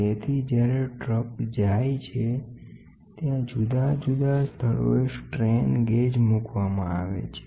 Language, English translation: Gujarati, So, in the weighing bridges, when the truck goes there are strain gauges placed at different locations on the load on the weighbridge